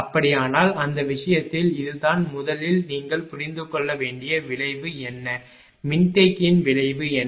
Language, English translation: Tamil, So, in that case in that case this is then what will be the effect of first you have to understand, What is the effect of capacitor